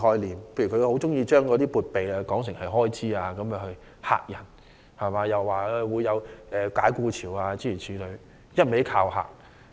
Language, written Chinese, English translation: Cantonese, 例如，他很喜歡將"撥備"說為"開支"，又指會出現解僱潮，一直恫嚇市民。, For instance he likes to use expenditure when he is actually talking about fiscal provision and keeps intimidating people with his assertion that massive layoffs will result